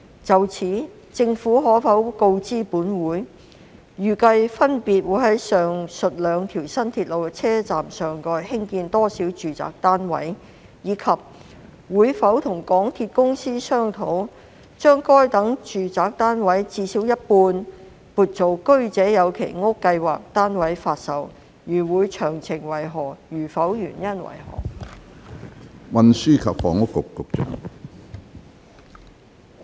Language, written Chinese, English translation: Cantonese, 就此，政府可否告知本會：一預計分別會在上述兩條新鐵路的車站上蓋興建多少個住宅單位；及二會否與港鐵公司商討，把該等住宅單位至少一半撥作居者有其屋計劃單位發售；如會，詳情為何；如否，原因為何？, In this connection will the Government inform this Council 1 of the respective expected numbers of residential units to be built atop the stations of the aforesaid two new railways; and 2 whether it will discuss with MTRCL the allocation of at least half of such residential units for sale as Home Ownership Scheme units; if so of the details; if not the reasons for that?